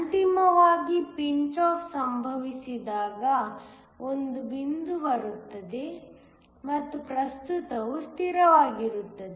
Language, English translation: Kannada, Ultimately, there comes a point when pinch off occurs and the current becomes the constant